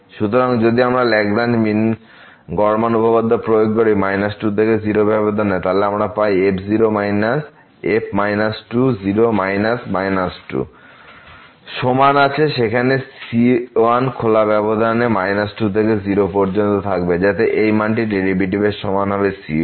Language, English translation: Bengali, So, if we apply the Lagrange mean value theorem on minus to interval what we get the minus minus divided by minus minus is equal to there will exist some 1 in the open interval minus to so that this value will be equal to the derivative at that point